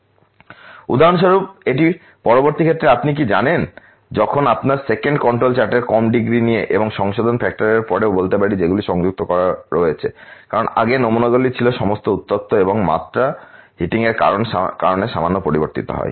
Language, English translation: Bengali, So, this for example, is the you know the later on case when we talked about that what happens after the 2nd control chart with the lesser degree of accuracy and also lets say after the correction factor which has been incorporated because earlier the samples are all heated and the dimension are slightly change because of the heating